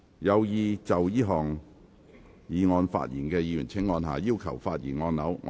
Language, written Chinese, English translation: Cantonese, 有意就這項議案發言的議員請按下"要求發言"按鈕。, Members who wish to speak on the motion will please press the Request to speak button